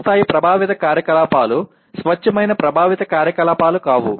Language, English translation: Telugu, Higher level affective activities are not pure affective activities